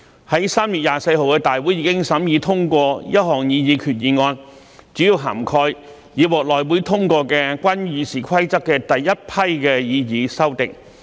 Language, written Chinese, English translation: Cantonese, 在3月24日的大會已審議通過一項擬議決議案，主要涵蓋已獲內會通過的關於《議事規則》的第一批擬議修訂。, A proposed resolution covering mainly the first batch of proposed amendments to RoP already approved by the House Committee HC was considered and passed at the Council meeting on 24 March